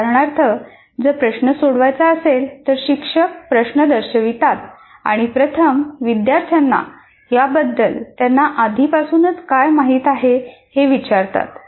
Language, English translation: Marathi, For example, if a problem is to be solved, presents the problem, and first ask the students what is that they already know about the task